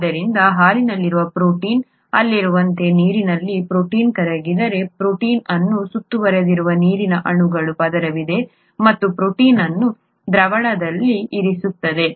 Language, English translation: Kannada, So if a protein is dissolved in water as in the case of a protein in milk, then there is a layer of water molecules that surround the protein and keep the protein in solution, right